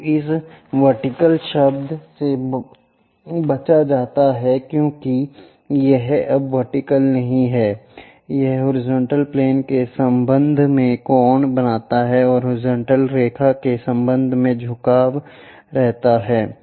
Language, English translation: Hindi, So, this vertical word is avoided because it is not anymore vertical, it makes an angle beta with respect to the horizontal plane and inclined with respect to horizontal line